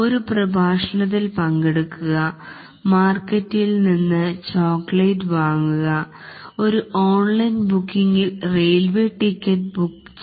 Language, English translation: Malayalam, Attending a lecture class, buying a chocolate from the market, book a railway ticket on an online booking